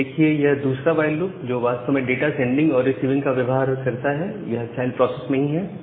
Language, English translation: Hindi, Now you see this the second while loop that we had which actually deals with sending and receiving data, it is inside only the child process